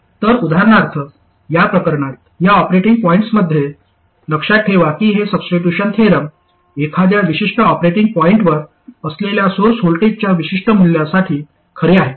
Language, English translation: Marathi, So for instance in this case, in this operating point, remember this substitution theorem is true for a particular value of source voltages, that is at a particular operating point